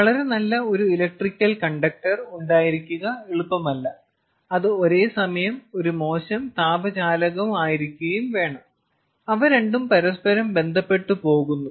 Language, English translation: Malayalam, ok, it is not easy to have a high, a very good electrical conductor which is simultaneously a poor thermal conductor, because most of them go hand in hand